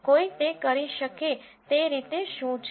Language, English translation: Gujarati, What is the way one can do that